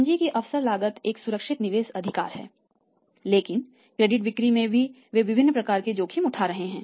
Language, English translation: Hindi, Opportunity cost of capital is a safe investment right but in the credit sales they are taking different kind of the risk